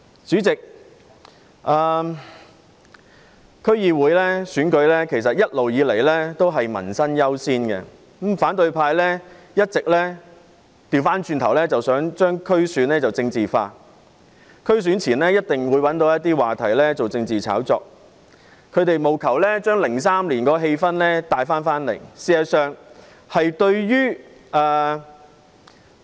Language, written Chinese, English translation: Cantonese, 主席，區議會選舉一直也是以民生優先，但反對派一直想把區議會選舉政治化，選舉前必定找話題作政治炒作，務求將2003年的氣氛帶回來。, President promoting peoples livelihood has all along been the primary consideration in District Council DC elections but the opposition camp has been trying to politicize the elections all the time . They will certainly try to hype up political issues to recreate an atmosphere similar to that in 2003